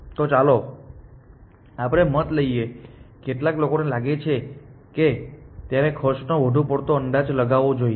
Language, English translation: Gujarati, So, let us take a vote, how many people feel it should overestimate the cost